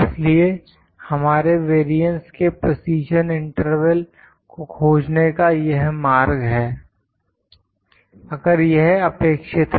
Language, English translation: Hindi, So, this is the way to find the precision interval for our variance, if it is required